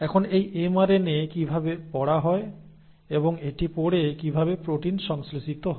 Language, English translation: Bengali, Now how is it that this mRNA is read, And having read how is it that the protein is synthesised